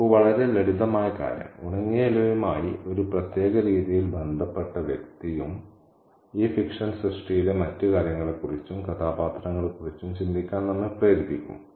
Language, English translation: Malayalam, See a very simple thing as a dry leaf and the person who kind of relates to the leaf in a particular way can make us think about other things and characters in this work of fiction